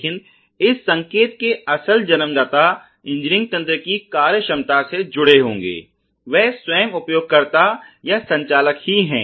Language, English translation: Hindi, But the principles generator of this signal which would be associated with the function ability of the engineered system is the user itself or the operator itself